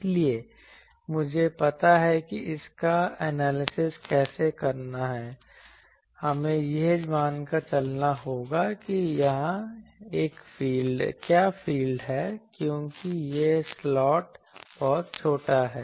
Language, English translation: Hindi, So, I know how to analyze this we will have to assume what is the field here now since this slot is very small